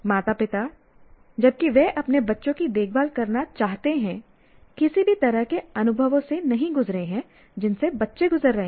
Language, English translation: Hindi, So what happens parent, while they would like to take care of their children, but they have not gone through any of the experiences that the children are going through